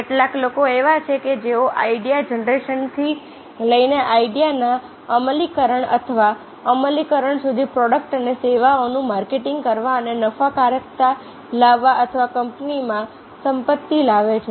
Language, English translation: Gujarati, some people are their, those who involve from the idea generation to idea execution or implementation, to market the product and services and being profitability or bring wealth to the company